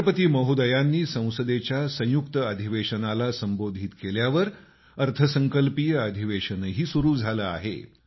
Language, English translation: Marathi, Following the Address to the joint session by Rashtrapati ji, the Budget Session has also begun